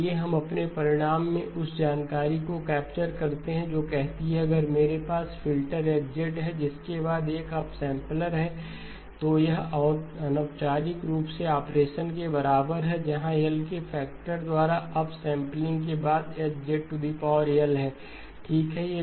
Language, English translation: Hindi, Let us capture that information in our result which says that if I have a filter H of Z followed by a up sampler, this is identically equal to an operation where I have up sampling by a factor of L followed by H of Z power L, okay